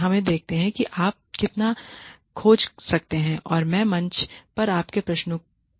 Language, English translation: Hindi, Let us see how much you can dig out and I will respond to your queries on the forum